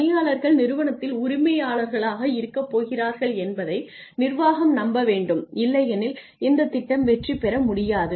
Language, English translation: Tamil, I mean the management has to be convinced that employees are going to be part owners in the organization otherwise this plan cannot succeed